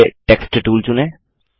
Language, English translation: Hindi, First, lets select the Text tool